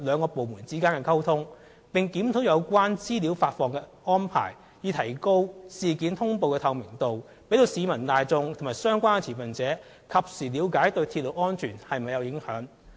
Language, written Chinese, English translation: Cantonese, 屋宇署和機電署並正檢討有關資料發放的安排，以提高事件通報的透明度，讓市民大眾及相關持份者及時了解鐵路安全是否受影響。, BD and EMSD are also conducting a review on the arrangements for information dissemination with a view to make incident notification more transparent for members of the public and relevant stakeholders to learn about whether railway safety is affected in a timely manner